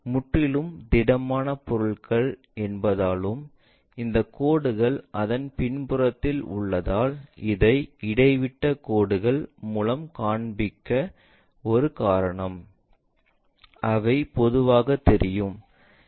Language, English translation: Tamil, Is a complete solid object and this line is at backside of that that is a reason we show it by a dashed lines, which are usually not visible